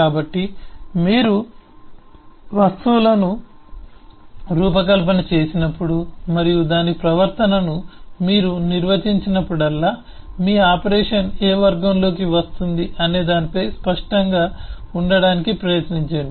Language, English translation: Telugu, so whenever you design an objects and you define its behavior, try to be clear in terms of which category your operation falls in